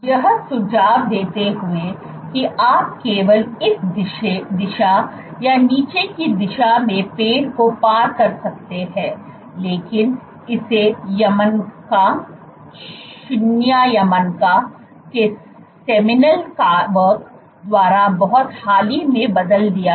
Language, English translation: Hindi, Suggesting that you can only traverse the tree in this direction or downward direction, but this was changed by the seminal work of Yamanaka, Shinya Yamanaka very recently